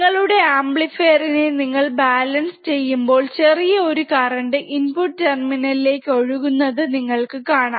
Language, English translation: Malayalam, When you balance your amplifier, then you will find that there is a small amount of current flowing into the 2 input terminals